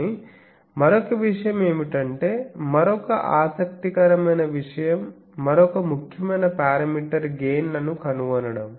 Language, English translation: Telugu, But another thing is that another interesting thing is another important parameter is finding gain